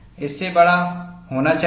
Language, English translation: Hindi, It should be greater than that